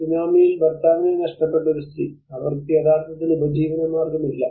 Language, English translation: Malayalam, A lady who lost her husband in the tsunami, she actually does not have any livelihood support